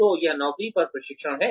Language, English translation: Hindi, So, it is, on the job training